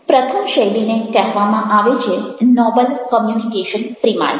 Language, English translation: Gujarati, the first one is called the noble communication premise